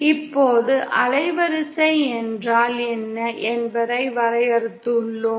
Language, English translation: Tamil, Now we have defined what is the bandwidth